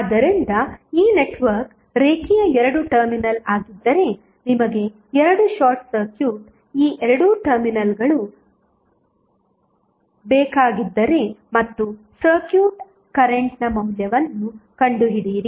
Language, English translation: Kannada, So, this network would be linear 2 terminal was you want 2 short circuit these 2 terminal and find out the value of circuit current